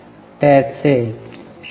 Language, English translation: Marathi, It is 0